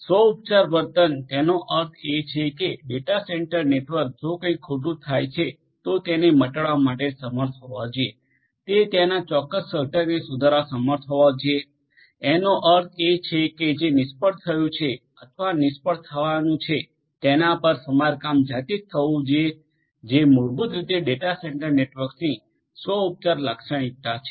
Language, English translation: Gujarati, So, self healing behaviour; that means, that the data centre network if anything goes wrong should be able to heal on it is own should be able to repair the particular component that is there I mean whatever has failed or is going to fail should be repaired on it is own that is basically the self healing property of a data centre network